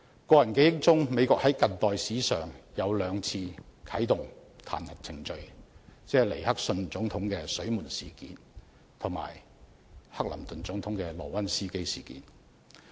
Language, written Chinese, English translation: Cantonese, 在我記憶中，美國在近代史上只啟動過兩次彈劾程序，針對的是尼克遜總統的"水門事件"及克林頓總統的"萊溫斯基事件"。, As far as I can recall two impeachment procedures had been initiated in the United States in contemporary history one against President NIXON in connection with the Watergate scandal and the other against President CLINTON in connection with the LEWINSKY scandal